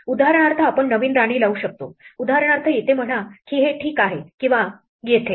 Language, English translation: Marathi, For instance we could put a new queen; say for instance here this would be ok; or here